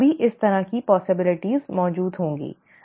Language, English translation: Hindi, Only then these kind of possibilities would exist, right